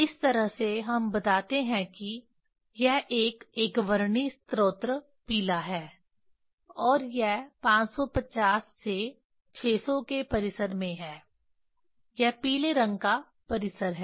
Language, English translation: Hindi, that is how we tell it is a monochromatic source yellow and this is this is in the range of 550 to 600, this is the range of yellow color